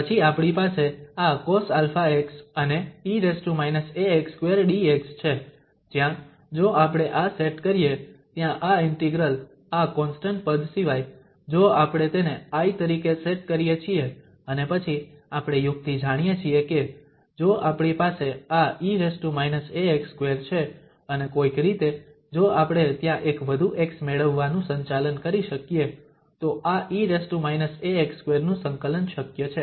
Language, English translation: Gujarati, So, then we have this cos alpha x and e power minus a x square dx, where if we set this, the integral there except this constant term, we set this as I and then we know the trick that if we have this e power minus a x square and somehow we can manage to get one more x there then the integration of this e power minus a x square is possible